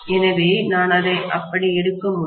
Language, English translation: Tamil, So, I can take it like that